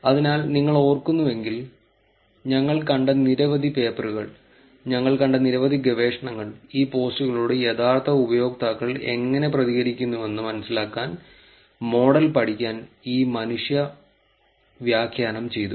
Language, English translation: Malayalam, So, if you remember, many of the papers that we have seen, many of research that we have seen, there is this human annotation done to learn the model to understand, how the real users react to these posts